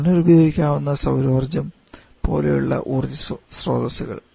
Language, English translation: Malayalam, Something or maybe just renewable energy sources like solar energy